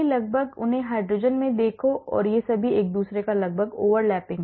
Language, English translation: Hindi, almost look at them in the hydrogen hydrogen and all these are almost over lapping on each other